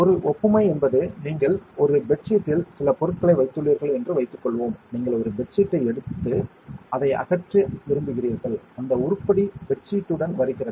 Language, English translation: Tamil, An analogy is like let us say you have put some things on a bed sheet and you want to remove that item you pulled a bed sheet and the item comes with the bed sheet